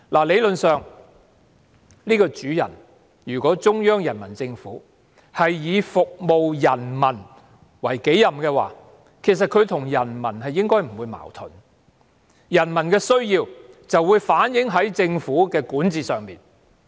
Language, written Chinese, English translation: Cantonese, 理論上，如果中央人民政府以服務人民為己任，她與人民其實不應存在矛盾，因為人民的需要會反映在政府的管治上。, Theoretically if the Central Peoples Government takes serving the people as its responsibility it should be in contradiction with the people because the needs of the people will be reflected in the governance of the government